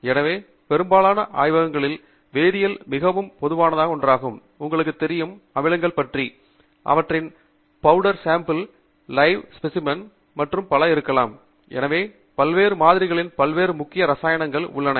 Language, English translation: Tamil, So, chemicals is something that is very common in most labs; you will have, you know, acids; you are going to have bases; you are going to have, may be, powder samples; may be biological samples and so on; so, the variety of different samples which all are essentially chemicals